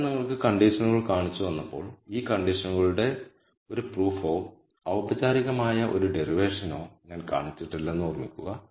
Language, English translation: Malayalam, Keep in mind that while I have shown you the conditions, I have not shown a proof or a derivation of these conditions in a formal manner